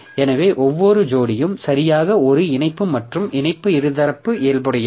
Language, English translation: Tamil, So, each pair exactly one link and the link is bidirectional in nature